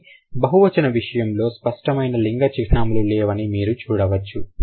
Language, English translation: Telugu, But in case of plural, you don't generally see the overt marking of gender